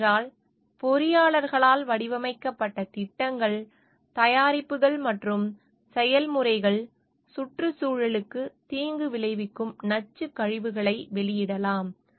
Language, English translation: Tamil, This is because projects, products, and processes designed by engineers can release toxic waste that can have detrimental effect on the environment